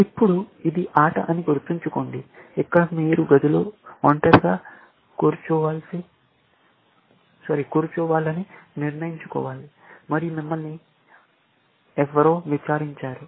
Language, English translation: Telugu, Now, remember that this is the game, which is played where, you have to decide sitting alone in the room, and you have been interrogated by somebody